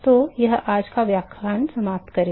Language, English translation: Hindi, So, that will finish today’s lecture